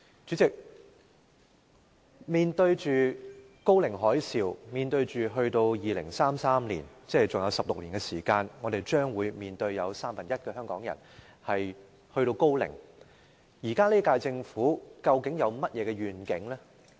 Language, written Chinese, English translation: Cantonese, 主席，面對"高齡海嘯"，在2033年，即還有16年，將有三分之一的香港人達至高齡，現屆政府究竟有何願景？, President in the face of the ageing tsunami in 2033 16 years from now one third of the Hong Kong population will have reached their old age . What actual vision does the Government have?